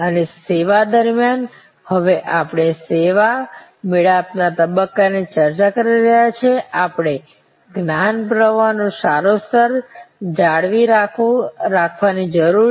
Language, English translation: Gujarati, And during the service, the stage that we are now discussing service encounter stage, we need to maintain a good level of knowledge flow